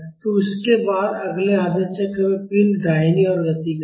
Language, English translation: Hindi, So, in the second half cycle, the direction of motion is towards right